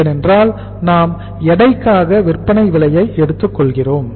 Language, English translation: Tamil, Because we are taking at the weights that is the selling price